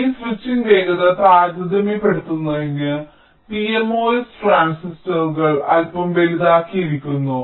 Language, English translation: Malayalam, so to make this switching speed comparable, the p mos transistors are made slightly bigger